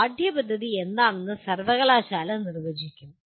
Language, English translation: Malayalam, University will define what the curriculum is